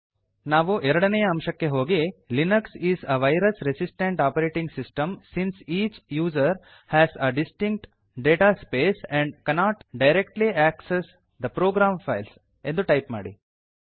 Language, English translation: Kannada, We will go to point number 2 and type Linux is a virus resistant operating system since each user has a distinct data space and cannot directly access the program files